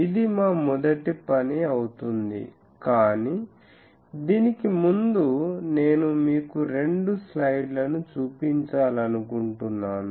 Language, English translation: Telugu, This will be our first task, but before that I will want to show you two slides